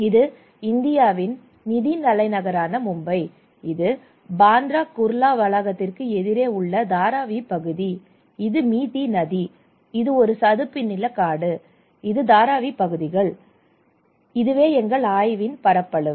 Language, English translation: Tamil, This is Mumbai, the financial capital of India, this is also Mumbai at Dharavi area close opposite to Bandra Kurla complex, and this is Mithi river, mangrove forest and this is Bandra Kurla and this is Dharavi areas okay, this is our study area